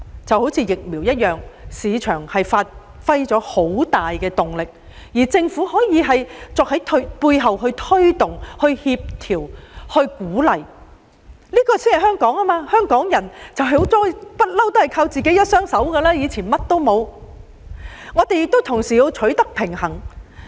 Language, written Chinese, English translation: Cantonese, 正如疫苗，市場發揮了很大作用，政府可以在背後推動、協調和鼓勵，這才是香港的本色，因香港人一向都是倚靠自己的一雙手，從以前一無所有時已是如此。, The issue of vaccines is an example . While the market plays a very significant role the Government can work behind the scene to promote coordinate and encourage . This is after all the inherent quality of Hong Kong because Hong Kong people have always taken their fate in their own hands and have been so since a long time ago when people were poor and had nothing at all